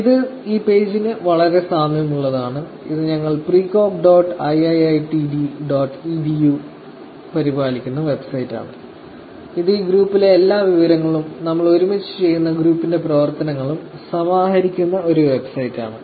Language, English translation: Malayalam, It is very similar to the page, this is the website that we have actually maintain precog dot iiitd dot edu, this is a website where we actually collate all the information that the group, the work of the group that we do together